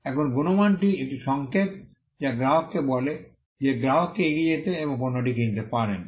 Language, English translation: Bengali, Now, quality is a signal which tells the customer that the customer can go ahead and buy the product